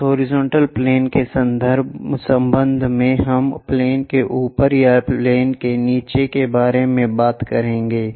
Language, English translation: Hindi, With respect to that horizontal plane, we will talk about above the plane or below the plane